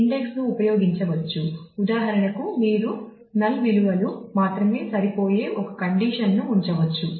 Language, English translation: Telugu, So, that the index can be used that is for example, you could put a condition such that only non null values will be matched